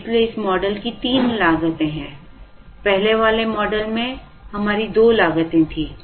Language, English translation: Hindi, So, we are going to have three costs in this model, we had two costs in the earlier model